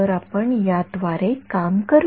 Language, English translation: Marathi, So, we will just work through this